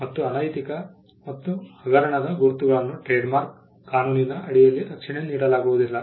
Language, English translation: Kannada, Marks that are immoral and scandalous will not be offered protection under the trademark law